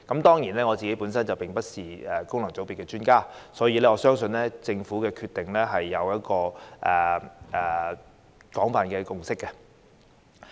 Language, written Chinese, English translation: Cantonese, 雖然我不是功能界別的專家，但我相信政府的決定已得到廣泛的共識。, Although I am no expert of FCs I trust that the Governments decision is supported by widespread consensus